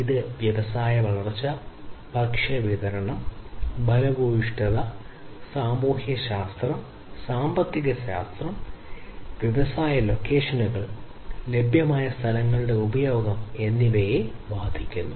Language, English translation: Malayalam, It affects the industry growth, food supplies, fertility, sociology, economics politics, industry locations, use of available lands, and so on